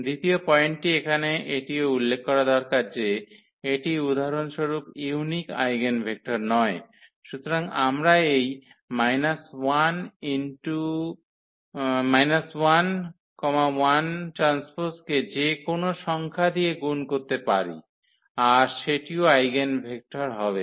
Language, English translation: Bengali, Second point here which also needs to be mention that this is not the unique eigenvector for instance; so, we can multiply by any number to this minus 1 1 that will be also the eigenvector